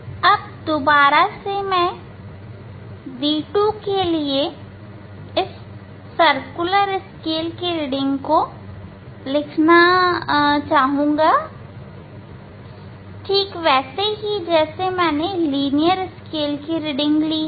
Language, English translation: Hindi, for d 2 again this one should write circular scale reading similarly here linear scale reading ok